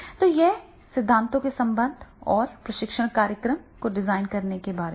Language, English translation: Hindi, So this is about the relationship of the theories and designing a training program